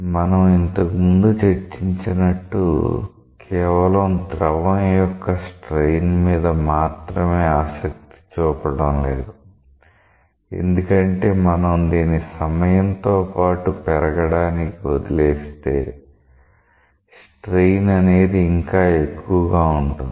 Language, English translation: Telugu, As we have discussed earlier, we are not just interested about the strain for a fluid because if you allow it to grow in time the strain will be more